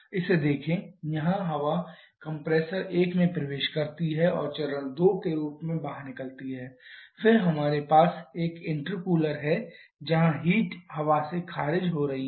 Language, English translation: Hindi, Look at this here the air enters compressor one and comes out as stage 2 then we have an intercooler where heat is being rejected by the air